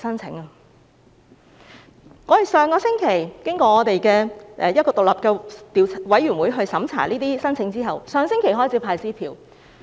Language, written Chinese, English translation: Cantonese, 這些申請經過一個獨立委員會審查後，上星期已開始派發支票。, These applications were then screened by an independent committee and cheques have been paid out since last week